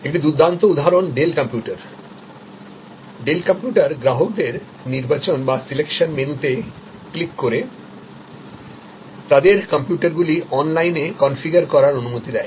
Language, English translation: Bengali, A great example is Dell computer, Dell computer allowed customers to configure their computers online by clicking on selection menus